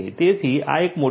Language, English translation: Gujarati, So, this is a huge number